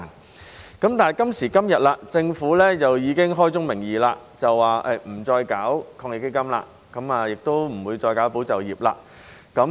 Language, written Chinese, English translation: Cantonese, 但是，政府今時今日已經開宗明義說不會再推出防疫抗疫基金，亦不會再推出"保就業"計劃。, However the Government has now made it clear that further rounds of the Anti - epidemic Fund and the Employment Support Scheme will not be introduced